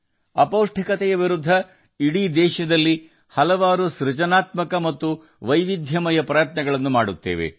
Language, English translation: Kannada, Many creative and diverse efforts are being made all over the country against malnutrition